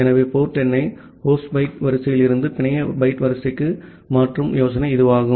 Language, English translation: Tamil, So that is the idea of converting the port number from the host byte order to the network byte order